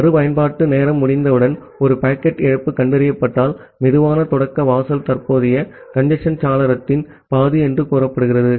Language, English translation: Tamil, And whenever a packet loss is detected by a retransmission timeout, the slow start threshold is said to be half of the current congestion window